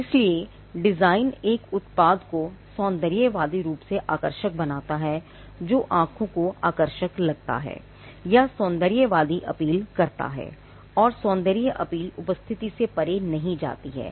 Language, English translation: Hindi, So, we understand the design as something, which makes a product aesthetically appealing, what is visually appealing or aesthetically appealing and the aesthetic appeal does not go beyond the appearance